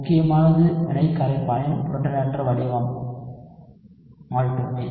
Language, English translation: Tamil, What matters is only the protonated form of the reaction solvent